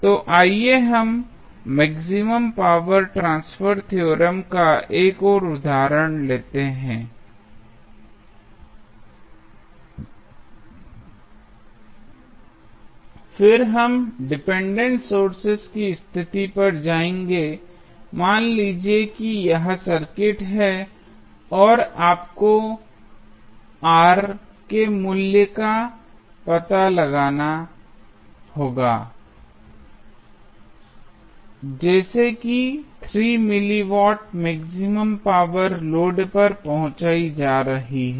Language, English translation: Hindi, So, let us take 1 example of maximum power transfer theorem then we will go to the dependent sources condition suppose if this is the circuit and you have to find out the value of R such that the maximum power is being delivered to the load is, 3 milli watt